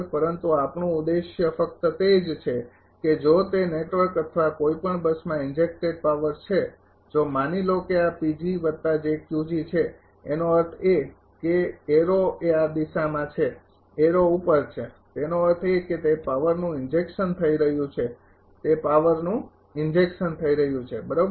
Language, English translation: Gujarati, But our objective is only thing that if it is a power being injected into the network or any bus if it is suppose this is P g and this is plus j Q g; that means, arrow is this direction arrow is upward; that means, it is injecting power it is injecting power right